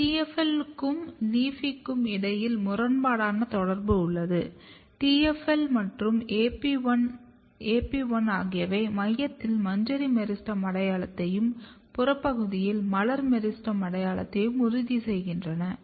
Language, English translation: Tamil, See the interaction between LEAFY, AP1 and TFL, particularly the antagonistic interaction between TFL and LEAFY; TFL and AP1 ensures inflorescence meristem identity in the center as well as floral meristem identity in the peripheral region